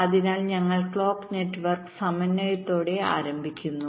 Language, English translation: Malayalam, ok, so we start with clock network synthesis